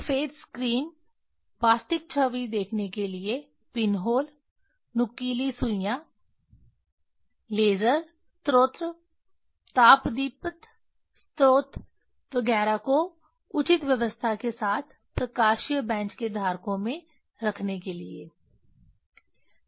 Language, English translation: Hindi, If milk glass screen white screen to see the real image pinhole, sharp needles, laser source, incandescent source etcetera with proper arrangement for placing them in holders of the optical bench